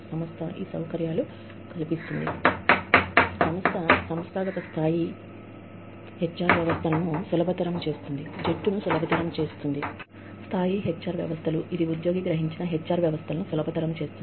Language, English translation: Telugu, The organization, facilitates the organizational level HR systems, facilitate the team level HR systems, which in turn facilitate the employee perceived HR systems